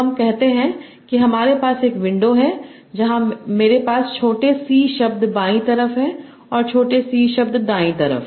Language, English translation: Hindi, So let us say we have a window where I am having small c words in the left, small c words in the right